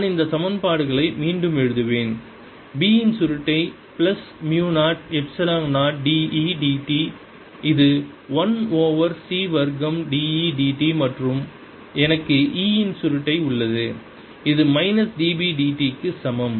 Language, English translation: Tamil, i will write these equation again: curl of b is plus mu, zero, epsilon, zero, d, e, d t, which is one over c square d, e, d t, and i have curl of e, which is equal to minus d, b, d t